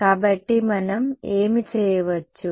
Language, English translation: Telugu, So, what can we do